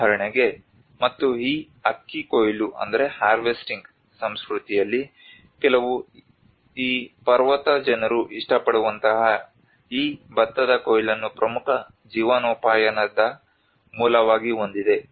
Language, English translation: Kannada, Like for instance, and some of these rice harvesting culture, where these mountain people like they have these rice harvesting as one of the important livelihood source